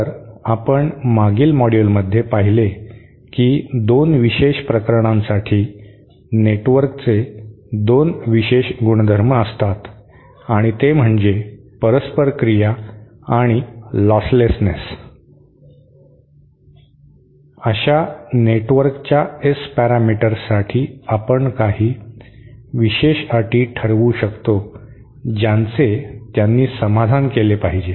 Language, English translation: Marathi, So we saw that in the previous module we had seen that for 2 special cases, 2 special properties of networks 1 is the reciprocity and the other is the lostlessness, we can derive some special conditions for the, that the S parameters of such networks should [Sa] should [Sat] satisfy